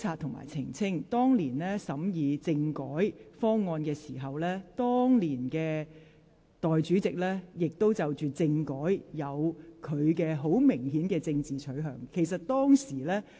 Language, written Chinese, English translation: Cantonese, 本會當年審議政改方案時，時任代理主席對政改亦有十分鮮明的政治取向。, When this Council considered the political reform package back then the Deputy President at that time also had a strong political inclination